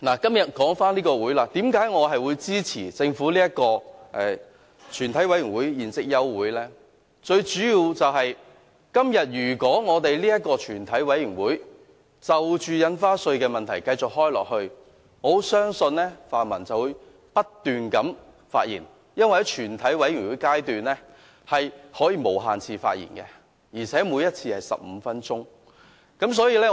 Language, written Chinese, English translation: Cantonese, 至於為何我會支持政府這項休會待續議案？最主要是，今天如果全委會繼續開會討論印花稅問題，我很相信泛民議員便會不斷地發言，因為議員可以在全委會審議階段無限次發言，每一次是15分鐘。, As for why I support the Governments adjournment motion the main reason is that if the Bill is deliberated at the Committee stage I believe the pan - democratic Members will speak incessantly since in the Committee stage Members can speak as many times as they wish up to 15 minutes each time